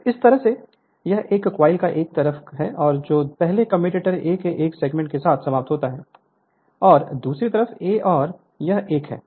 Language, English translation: Hindi, So, in that way this one side of the coil right one coil that is first end with a segment of the commutator a, and other side and it is a plus